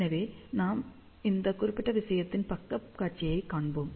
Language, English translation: Tamil, So, let us see the side view of this particular thing overheads